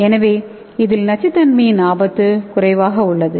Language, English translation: Tamil, So it is lower risk of toxicity